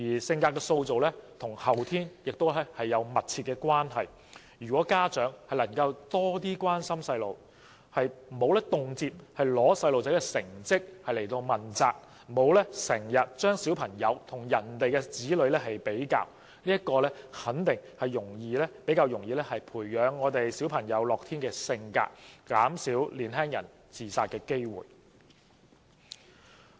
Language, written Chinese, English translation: Cantonese, 性格的塑造與後天也有密切關係，如果家長能夠多點關心小朋友，不會經常因成績欠佳而責罵子女，或將自己的子女與別人的子女比較，肯定能夠較易培養子女的樂天性格，間接減低年輕人自殺的機會。, Personality may also be shaped after birth . If parents can show more concern for small children and refrain from frequently scolding their children due to poor academic performance or comparing their own children with others they can definitely develop an optimistic character in their children more easily thereby indirectly reducing the possibility of suicides among young people